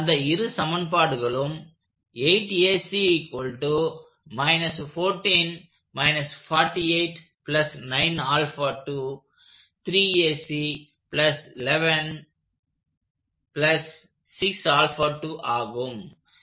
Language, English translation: Tamil, So, I will write those equations